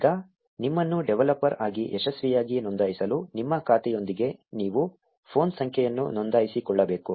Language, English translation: Kannada, Now in order to successfully register yourself as a developer, you need to register a phone number with your account